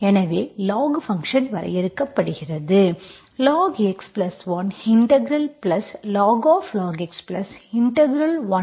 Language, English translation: Tamil, That means it is defined, what is log x, log x is defined only for x positive